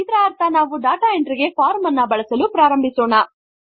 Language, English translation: Kannada, Meaning we will start using the form for data entry